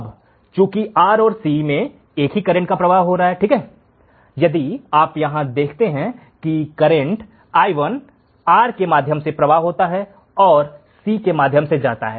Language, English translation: Hindi, Now, since the same current flows through R and C right, if you see here current i1 flows through R and goes through C